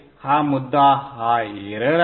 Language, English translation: Marathi, This is the error